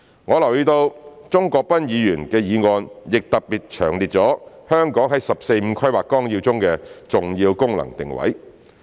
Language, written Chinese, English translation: Cantonese, 我留意到鍾國斌議員的議案特別詳列了香港在《十四五規劃綱要》中的重要功能定位。, I notice that Mr CHUNG Kwok - pans motion has specifically set out in detail the significant functions and positioning of Hong Kong in the 14th Five - Year Plan